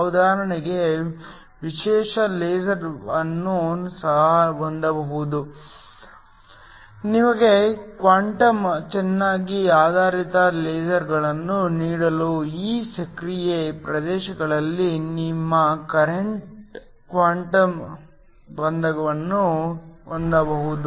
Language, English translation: Kannada, Can also have specialty laser for example, you can have quantum confinement within this active regions in order to give you quantum well based lasers